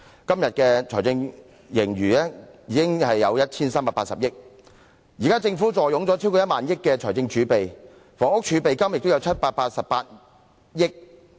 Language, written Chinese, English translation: Cantonese, 今天的財政盈餘已達 1,380 億元，現時政府坐擁超過1萬億元的財政儲備，房屋儲備金亦有788億元。, Today the fiscal surplus has reached 138 billion . Now the Government holds fiscal reserves of more than 1,000 billion and the Housing Reserve has snowballed to 78.8 billion